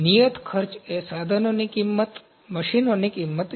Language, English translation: Gujarati, The fixed cost is the cost of the equipment, cost of machines